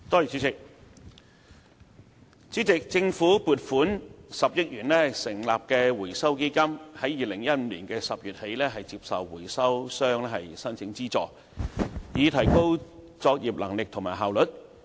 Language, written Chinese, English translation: Cantonese, 主席，政府撥款10億元成立的回收基金於2015年10月起接受回收商申請資助，以提高作業能力和效率。, President the Recycling Fund established by the Government with an allocation of 1 billion has been open since October 2015 for application by recyclers for subsidies for enhancing their operational capabilities and efficiency